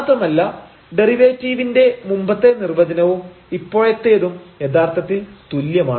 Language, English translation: Malayalam, And, the earlier definition of the derivative they are actually equivalent